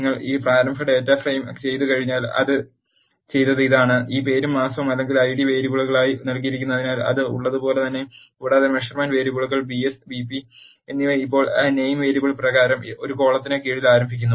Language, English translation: Malayalam, Once you do this initial data frame will become like this, what it has done is, since this name and month or given as Id variables, there as it is and measurement variables BS and BP are now start under a column by name variable, as you can see here and the values of them are stored in another column, which is named as value